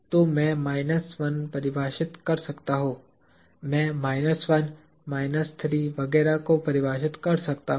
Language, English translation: Hindi, So, I can define a minus 1; I can define a minus 2, minus 3, etcetera